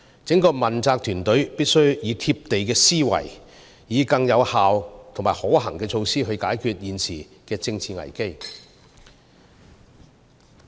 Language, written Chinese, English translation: Cantonese, 整個問責團隊必須以貼地的思維，以有效及可行的措施來解決現時的政治危機。, The entire team of responsible officials must be down - to - earth in their thinking and adopt effective and feasible means to address the present political crisis